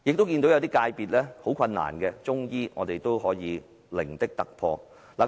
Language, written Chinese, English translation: Cantonese, 即使有些界別遇到困難，例如中醫，但我們亦成功取得零的突破。, Although we had encountered some obstacles in certain subsectors such as Chinese medicine we still managed to get the first - ever seat